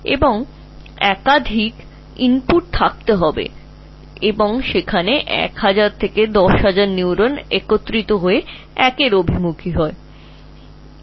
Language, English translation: Bengali, So, there have to be multiple inputs and that is why 1,000 to 10,000 neurons converge on one in each one of them further